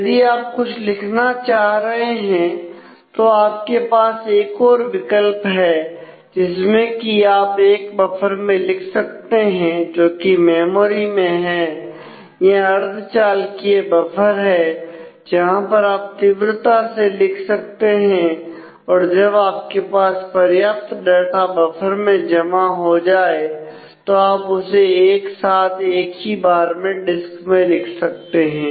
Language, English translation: Hindi, So, if you are trying to do some write you have you can take another option that you actually write that to a buffer a buffer which is in the memory in the it is a in the a semiconductor buffer where you can very quickly write and then when you have enough data in the buffer then you can take them in a single go to the disk